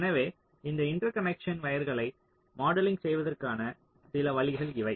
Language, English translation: Tamil, so these are some ways of modeling this interconnection wire